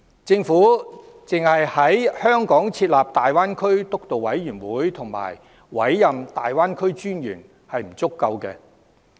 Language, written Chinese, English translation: Cantonese, 政府只在香港設立粵港澳大灣區建設督導委員會和委任粵港澳大灣區發展專員是不足夠的。, It is not sufficient for the Government to set up the Steering Committee for the Development of the Greater Bay Area in Hong Kong and appoint a Commissioner for the Development of the Greater Bay Area